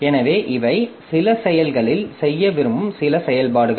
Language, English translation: Tamil, So, these are certain operations that we may like to do on some processes